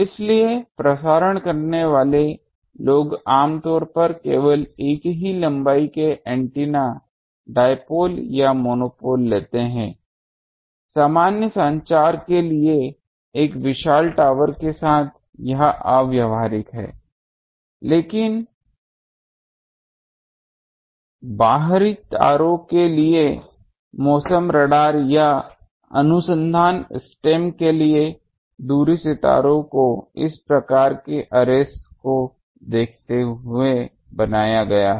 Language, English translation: Hindi, So, broadcasting people generally take only single length antenna dipole or monopole basically, with a huge tower for normal communication it is impractical, but for weather radar or research stem for extraterrestrial observations looking at distance stars this type of arrays are made